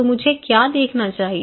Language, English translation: Hindi, So, what I should look into